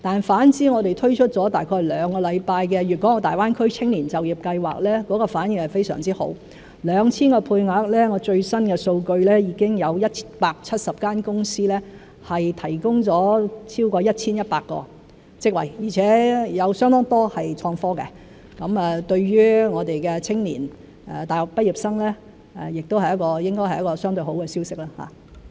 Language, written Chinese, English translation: Cantonese, 反之，我們推出了約兩個星期的"大灣區青年就業計劃"反應非常好 ，2,000 個配額中，最新的數據是已經有170間公司提供了超過 1,100 個職位，而且有相當多是創科的，對於我們的青年和大學畢業生，亦應是一個相對好的消息。, On the other hand the Greater Bay Area Youth Employment Scheme launched about two weeks ago has been very well - received . Of the 2 000 places to be provided more than 1 100 places have been provided by 170 enterprises according to the latest statistics and quite a large number of these jobs have to do with innovation and technology . This should be relatively good news to our young people and university graduates